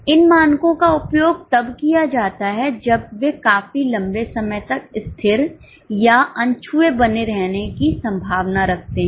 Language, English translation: Hindi, These standards are used when they are likely to remain constant or unaltered for a fairly long time